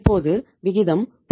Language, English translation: Tamil, Ratio is now 0